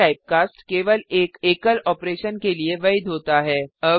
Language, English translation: Hindi, This typecast is valid for one single operation only